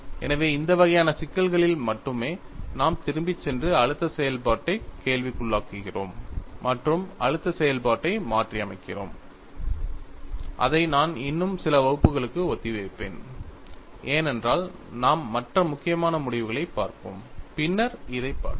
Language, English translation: Tamil, So, only in this kind of a problem, we find, even we go back and question the stress function, and modify the stress function, which I would postpone for another few classes;, because we would looked at other important results, then get into this